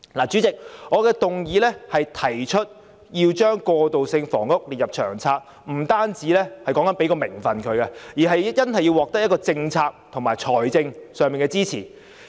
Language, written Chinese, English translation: Cantonese, 主席，我的議案提出把過渡性房屋列入《長策》，說的不單是給予名份，而是真正要獲得政策及財政上的支持。, President my motion proposes that transitional housing be included in LTHS . I mean not just nominal recognition but real policy and financial support